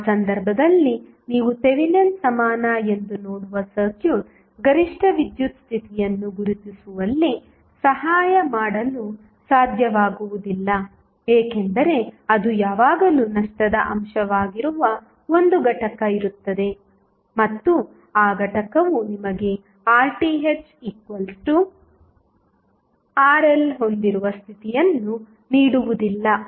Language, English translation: Kannada, And in that case the circuit which you see as a Thevenin equivalent will not be able to help in identifying the maximum power condition why because there would be 1 component which is always be a loss component and that component will not give you the condition under which you have the Rth equal to Rl